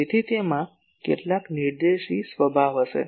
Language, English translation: Gujarati, So, that will have some directive nature